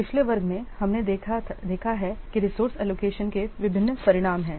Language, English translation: Hindi, In the last class we have seen that there are different outcomes of resource allocation